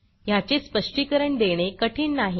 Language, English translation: Marathi, It is not difficult to explain this behaviour